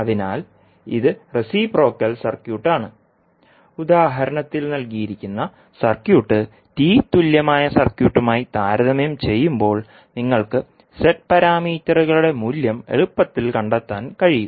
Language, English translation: Malayalam, Anyway, this circuit itself is represented as T equivalent, so this is reciprocal circuit and when we compare with the T equivalent circuit with the circuit given in the example you can easily find out the value of the Z parameters